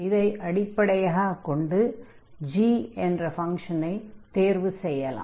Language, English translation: Tamil, So, based on this now we can select the function, we can choose the function g